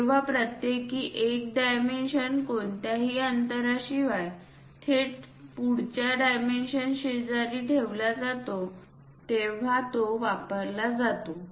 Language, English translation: Marathi, It is used when each single dimension is placed directly adjacent to the next dimension without any gap